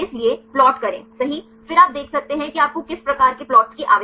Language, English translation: Hindi, So, get plot right then you can see that what are types of plots you require